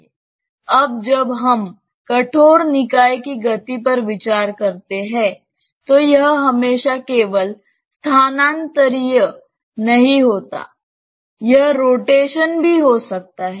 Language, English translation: Hindi, Now when we consider the rigid body motion, it is not always just translation; it may also be rotation